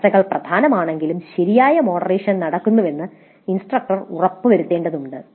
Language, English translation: Malayalam, While discussions are important, it is also necessary for the instructor to ensure that proper moderation happens